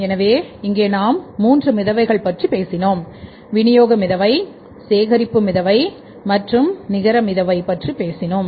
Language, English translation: Tamil, So, here we talk about the three floats, disbursement float, collection float and the net float